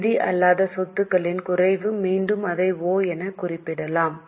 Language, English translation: Tamil, Decrease in non financial assets, again let us mark it as O